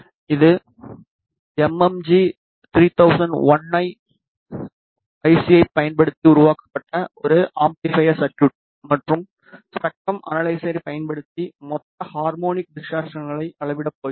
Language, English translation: Tamil, This is an amplifier circuit developed using mmg 3001 IC and we are going to measure the total harmonic distortion using spectrum analyzer